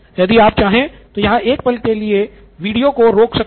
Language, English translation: Hindi, A moment here you can pause the video if you want